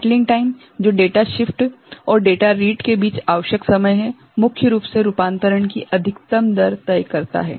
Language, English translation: Hindi, Settling time required between data shift and data read primarily decides maximum rate of conversion ok